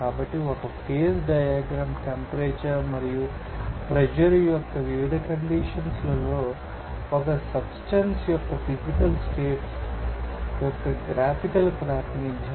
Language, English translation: Telugu, So, a phase diagram is a graphical representation of the physical states of a substance under different conditions of temperature and pressure